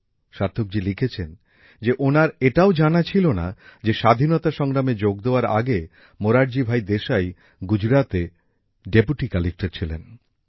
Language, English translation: Bengali, Sarthak ji has written that he did not even know that Morarji Bhai Desai was Deputy Collector in Gujarat before joining the freedom struggle